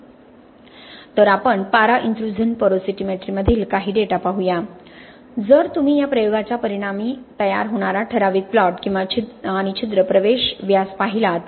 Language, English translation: Marathi, So let us look at some data from mercury intrusion porosimetry, if you look at the plot the typical plot that is produced as a result of this experiment and the pore entry diameter